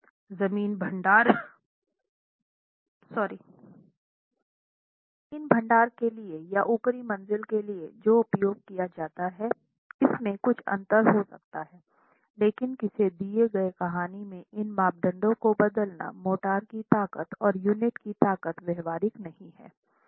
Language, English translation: Hindi, You might have some difference between what is used for the ground story versus what is used for the upper stories, but in a given story changing these parameters, motor strength and unit strength is not practical